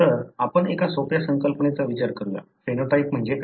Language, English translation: Marathi, So, let us look into one simple concept, what do you mean by phenotype